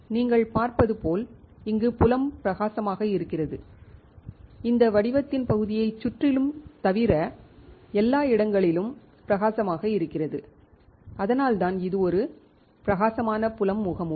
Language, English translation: Tamil, As you see here the field is bright, here the field is bright everywhere the except around the pattern area and which is why it is a bright field mask